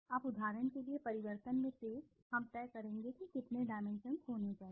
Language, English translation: Hindi, Now for example the change, the sharpness in the change, we will decide how many dimensions should be there